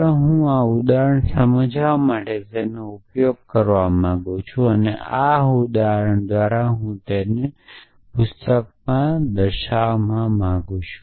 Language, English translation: Gujarati, So, let me use an example to illustrate by this is needed and this example is from book by I can make them what which disturbs it in this notation